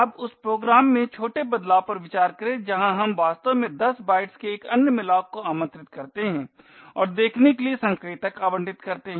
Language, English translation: Hindi, Now consider the small change in the program where we actually invoke another malloc of 10 bytes and allocate the pointer to see